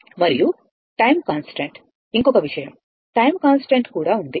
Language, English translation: Telugu, And time constant; one more thing is there time constant is also there, right